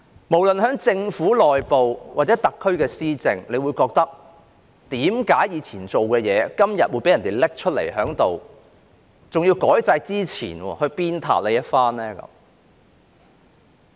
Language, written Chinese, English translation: Cantonese, 無論就政府內部運作或特區施政，他們會質問，為何過去所做的事，今天會被人拿出來，還要在改制之前鞭撻一番？, Whether in relation to the internal operation of the Government or the governance of the Special Administrative Region they will query why what was done in the past is being dredged up and even slammed today before the system is changed